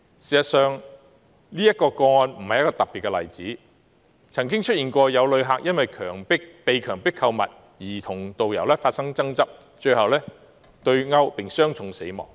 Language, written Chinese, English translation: Cantonese, 事實上，這宗個案並非特別的例子，曾有旅客因被強迫購物而與導遊發生爭執被毆，最終傷重死亡。, In fact the case is not an exceptional case . Another visitor who had an argument with a tourist guide due to coerced shopping was beaten and finally died from serious injuries